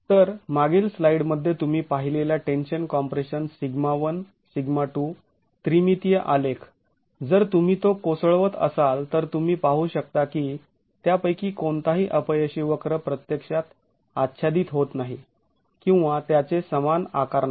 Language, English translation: Marathi, So, the tension compression, sigma 1, sigma 2, 3 dimensional graph that you saw in the previous slide, if you were to collapse it, you can see that none of those failure curves actually overlap or have the same shape